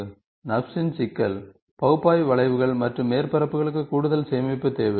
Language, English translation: Tamil, So, the problem with the NURBS is; analytical curves and surface requires additional storage